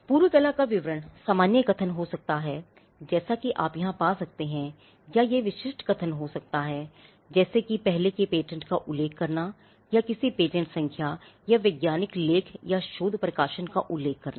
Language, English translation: Hindi, The description of prior art could be general statements as you can find here, or it could be specific statements like referring to an earlier patent or referring to a patent number or to a scientific article or a research publication